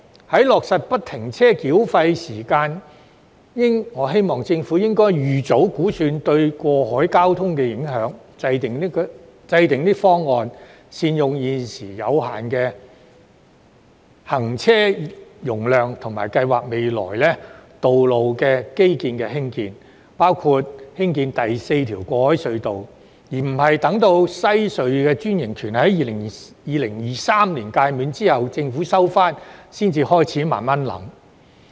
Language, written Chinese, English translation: Cantonese, 在落實不停車繳費系統時，我希望政府應預早估算這對過海交通的影響，以制訂方案，善用現時有限的行車容量及計劃未來基建的興建，包括興建第四條過海隧道，而不是待2023年西隧的專營權屆滿，收回隧道後才開始慢慢考慮。, When FFTS is being implemented I hope that the Government will estimate its impact on cross - harbour traffic in advance so as to draw up plans for the effective use of the existing limited traffic capacity and for the construction of infrastructures in the future including the construction of the fourth harbour crossing . It should not wait until its takeover of WHC upon the franchise expiry in 2023 to start considering these issues